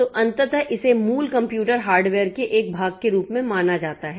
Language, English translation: Hindi, So, ultimately it is treated as a part of the basic computer hardware